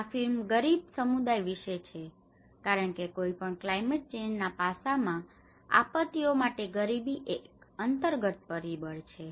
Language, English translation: Gujarati, So, this film is all about the poor communities because the poverty is an underlying factor for any of disaster in the climate change aspect